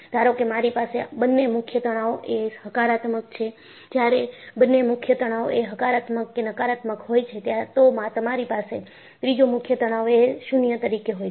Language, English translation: Gujarati, Suppose, I have both the principal stresses are positive, when both the principal stresses are positive or negative, you have the third principal stress as 0